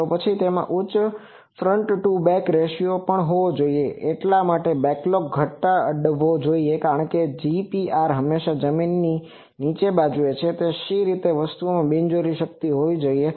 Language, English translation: Gujarati, Then also it should have high front to back ratio that means backlog should be reduced, because GPR always see below the ground so, why unnecessarily power should be there in the thing